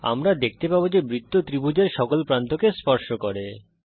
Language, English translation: Bengali, We see that the circle touches all the sides of the triangle